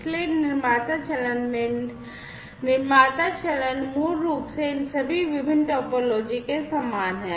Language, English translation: Hindi, So, in the producer phase the producer phase, basically, is similar across all these different topologies